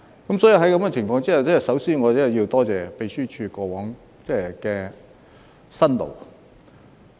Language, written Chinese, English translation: Cantonese, 在這情況下，我真的首先要多謝秘書處過往的辛勞。, Against this background I really need to begin by expressing my thanks to the Secretariat for their hard work in the past